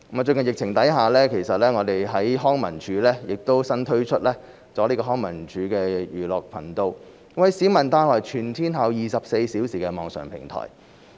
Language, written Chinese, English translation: Cantonese, 最近疫情下，康文署新推出"康文署寓樂頻道"，為市民帶來全天候24小時的網上平台。, Given the pandemic these days LCSD has newly launched the LCSD Edutainment Channel a round - the - clock online platform for the public